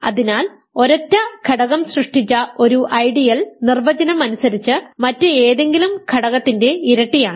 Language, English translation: Malayalam, So, an ideal generated by a single element is by definition that element times any element